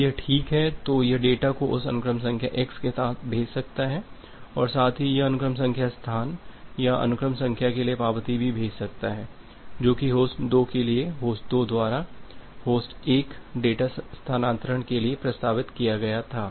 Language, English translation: Hindi, If it is OK, then it can send the data with that sequence number x and at the same time it can also send acknowledgement for the sequence number space or the sequence number that was proposed by host 2 for host 2 to host 1 data transfer